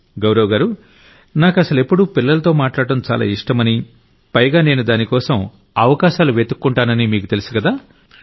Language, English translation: Telugu, Gaurav ji, you know, I also like to interact with children constantly and I keep looking for opportunities